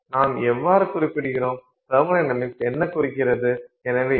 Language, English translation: Tamil, How do we represent what thermodynamics indicates